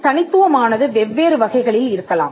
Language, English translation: Tamil, The distinctiveness can be of different types